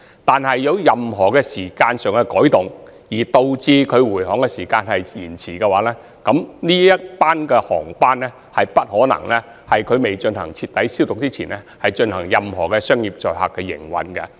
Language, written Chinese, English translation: Cantonese, 但是，如果有任何時間上的改動，導致回航時間有所延遲，航機將不可能在未進行徹底消毒前進行任何商業載客的營運。, However if there is any change in time that delays the return it may not be possible for the plane to undergo thorough disinfection before carrying passengers for business operations